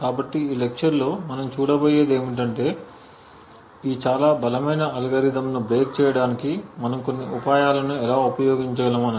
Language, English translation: Telugu, So what we will see in this lecture is how we could use a few tricks to break these extremely strong algorithms